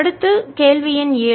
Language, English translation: Tamil, next question, number seven